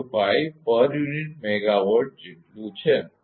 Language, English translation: Gujarati, 005 per unit megawatt